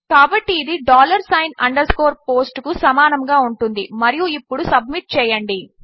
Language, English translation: Telugu, So this will be equal to dollar sign underscore POST and now submit